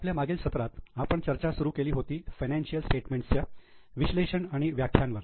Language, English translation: Marathi, In our last session we had started of financial statement and its interpretation